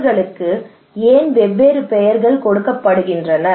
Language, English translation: Tamil, Why they are given different names